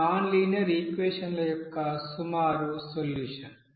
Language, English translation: Telugu, So this is an approximate solution of those you know nonlinear equation